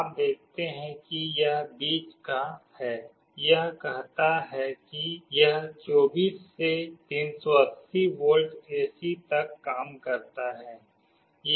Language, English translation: Hindi, You see this is the middle one, it says that it works from 24 to 380 volts AC